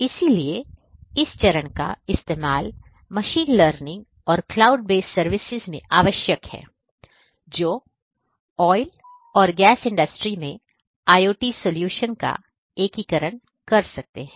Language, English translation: Hindi, So, these are the steps in the machine learning and cloud based services that are going to be integrated with the IoT solutions for the oil and oil and gas industry